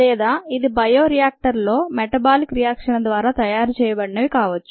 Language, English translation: Telugu, or it could be a metabolite that is made by the metabolic reactions in the bioreactor